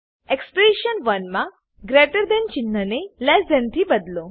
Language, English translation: Gujarati, In expression 1 replace greater than sign with less than sign